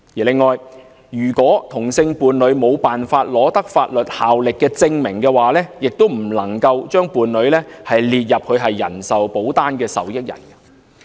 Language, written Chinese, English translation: Cantonese, 此外，如果同性伴侶無法取得具法律效力的證明，亦不能夠把伴侶列入人壽保單的受益人。, In addition if same - sex partners cannot obtain certification with legal effects they cannot be included as beneficiaries in life insurance policies